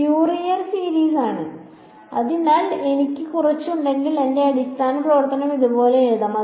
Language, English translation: Malayalam, Fourier series right, so if I have some I can write down my basis function as like this